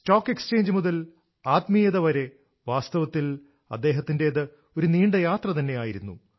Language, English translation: Malayalam, From stocks to spirituality, it has truly been a long journey for him